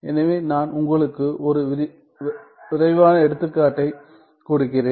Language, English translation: Tamil, So, let me just give you one quick example